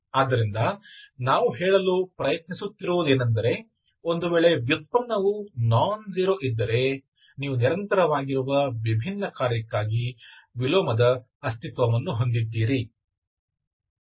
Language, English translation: Kannada, So, so what is that we are trying to say is, if the derivative nonzero, you have inverse exists, okay, for a continuously differential function